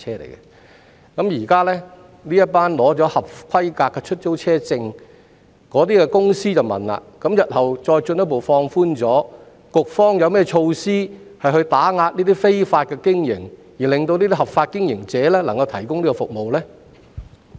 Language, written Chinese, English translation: Cantonese, 現時一些持有合規格出租車證的公司便想問，如果日後再進一步放寬規定，局方有何措施打擊這些非法經營者，讓合法經營者可以繼續提供服務呢？, Now those companies holding eligible hire car permits would like to ask What measures does the Bureau has in place to combat these illegal operators if the regulations are further relaxed in the future so that legitimate operators can continue to provide services?